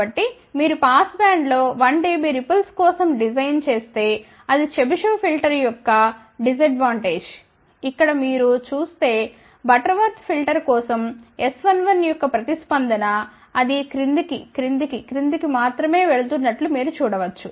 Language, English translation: Telugu, So, that is the disadvantage of a Chebyshev filter if you design for a ripple of 1 dB in the passband, ok whereas you see the response of S 1 1 for Butterworth filter you can see that it is keeps going down down down only, right